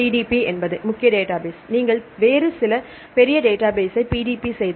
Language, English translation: Tamil, PDB is the major database; if you PDB some other major database